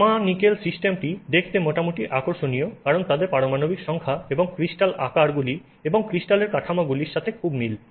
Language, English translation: Bengali, The copper nickel system is fairly interesting to look at because the their atomic numbers and crystal sizes, crystal structures are very similar